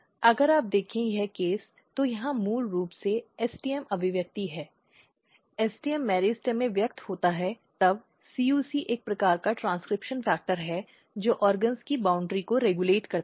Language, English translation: Hindi, If you look, this case; so, here is basically STM expression, STM express in the meristem then CUC is a kind of transcription factor which regulates at the boundary of the organs